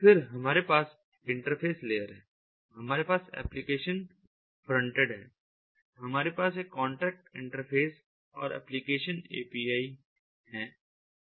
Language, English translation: Hindi, then we have the interface layer, we have the application frontend, we have ah, a contract interface and application apis